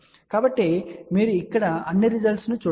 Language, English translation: Telugu, So, you can see all the results over here